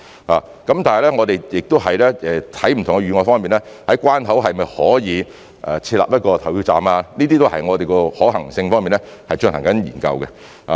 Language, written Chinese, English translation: Cantonese, 但是，我們在審視不同的預案，可否在關口設立投票站，這些都是我們正在就可行性方面進行研究的。, Having said that we are examining different plans and we are studying the feasibility of such arrangements as setting up polling stations at border control points